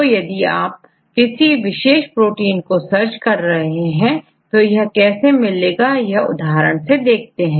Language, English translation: Hindi, So, if you want to search the data for any of these specific proteins right then I will show with one example